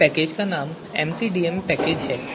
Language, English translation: Hindi, So name of this package is MCDM package right